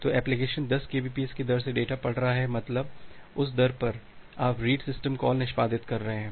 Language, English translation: Hindi, So, the application is reading the data at a rate of 10 Kbps means at that rate, you are executing the read system call